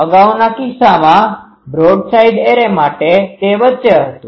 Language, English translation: Gujarati, In earlier case in for the broadside array, it was at in between